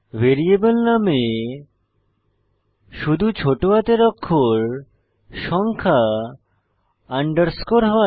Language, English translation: Bengali, Variable name may only contain lowercase letters, numbers, underscores